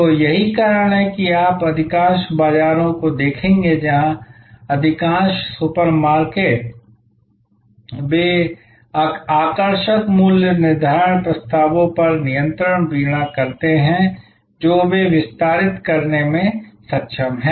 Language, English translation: Hindi, So, that is why you will see the most of the bazaars, most of the super markets they continuously harp on the attractive pricing package offers which they are able to extend